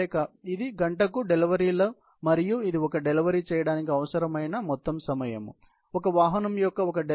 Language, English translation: Telugu, So, this is the deliveries per hour and this is the total time needed for performing one delivery; so, one delivery of one vehicle